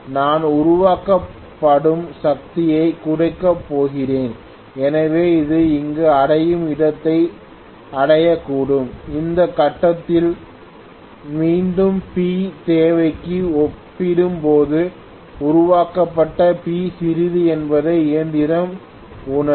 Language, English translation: Tamil, So I am going to have reduction in the power that is being generated, so it might reach a point where it reaches here, at this point again the machine will realize that P generated is smaller as compared to P demand, so again the machine will be decelerating or retarding